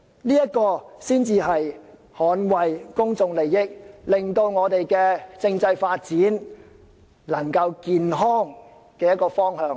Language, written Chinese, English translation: Cantonese, 這才是捍衞公眾利益，令我們的政制可以朝着健康的方向發展。, This is rather the way of safeguarding public interest and it can enable our political system to develop in a healthy direction